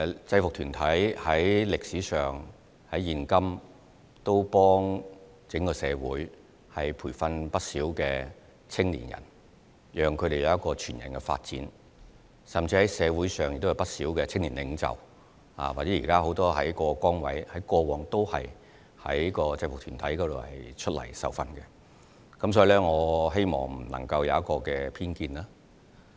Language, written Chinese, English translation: Cantonese, 制服團體無論在歷史上或今時今日也幫助整個社會培訓不少青少年，讓他們有全人發展，甚至社會上也有不少的青年領袖，或者現時很多在各崗位上的人，過往也曾在制服團體受訓，所以，我希望他不會對此有偏見。, No matter in the past or nowadays UGs have helped the entire society to provide training and whole - person development opportunities for young people . Some of the young leaders or elites in society had received the training of UGs in the past . Therefore I hope he will not have bias on UGs